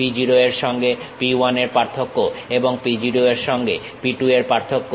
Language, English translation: Bengali, P 1 differencing with P0, and P 2 differencing with P0